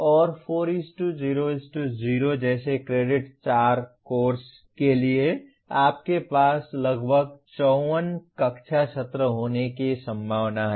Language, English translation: Hindi, And for a 4 credit course like 4:0:0 you are likely to have about 54 classroom sessions